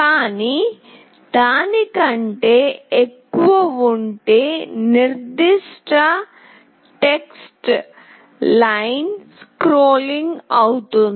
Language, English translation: Telugu, But if it is more than that, the particular text will be scrolling